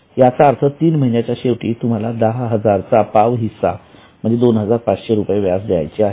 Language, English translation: Marathi, That means at the end of three months, you have to pay one fourth of 10,000 or say 2,500